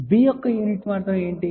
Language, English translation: Telugu, What was the unit of b